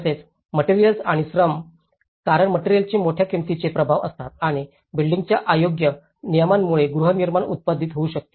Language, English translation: Marathi, Also, the materials and labour because materials have a major cost implications and also inappropriate building regulations can inhabit the production of housing